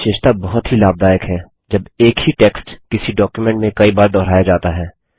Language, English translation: Hindi, This feature is very helpful when the same text is repeated several times in a document